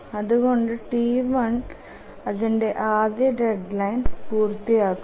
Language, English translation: Malayalam, Therefore, T1 meets its first deadline